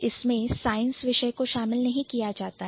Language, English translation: Hindi, So, it doesn't include the science subjects anymore